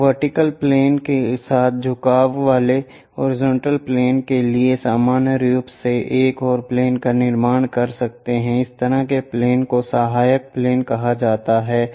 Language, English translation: Hindi, We can construct one more plane normal to horizontal plane inclined inclined with the vertical plane such kind of planes are called auxiliary planes